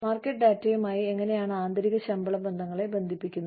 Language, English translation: Malayalam, How do we link, internal pay relationships to market data